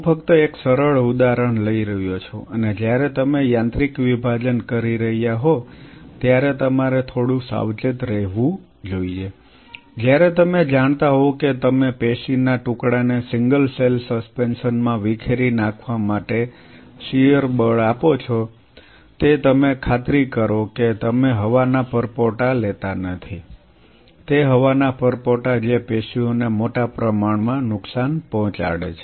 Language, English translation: Gujarati, I am just taking up one simple example and one has to be slightly careful while you are doing mechanical dissociation, while you are kind of you know offering a shear force to the piece of tissue to dissociate it into single cell suspension you ensure that you are not picking up air bubbles those air bubbles damage the tissue big time